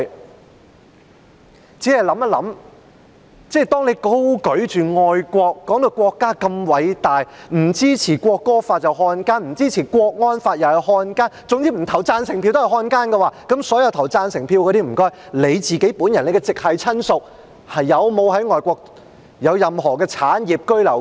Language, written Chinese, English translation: Cantonese, 我只是想到，有人高舉愛國旗幟，把國家說得多偉大，說不支持《國歌條例草案》便是漢奸，不支持國安法又是漢奸，總之不投贊成票的人就是漢奸，那麼，所有投贊成票的人，他們本人及其直系親屬在外國是否擁有任何產業或居留權？, I only think that when some people hold high the banner of patriotism and sing high praises for the greatness of the country saying that people not supportive of the National Anthem Bill are traitors and that people not supportive of the national security law are traitors and in short people who do not vote yes are traitors then regarding all those people who vote yes do they themselves and their next of kin have any property or right of abode in foreign countries?